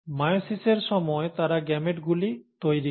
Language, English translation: Bengali, During meiosis they form gametes